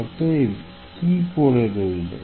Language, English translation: Bengali, So, what is left then